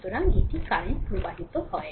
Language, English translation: Bengali, So this is the current flowing